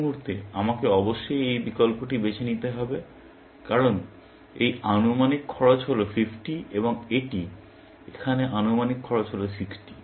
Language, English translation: Bengali, At this point, I must choose this option, because this estimated cost is 50 and this, here, the estimated cost is 60